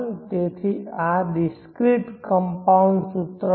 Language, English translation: Gujarati, So this would be the discrete compounding formula